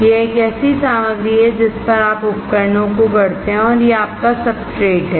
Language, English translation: Hindi, It is a material on which you fabricate devices and that is your substrate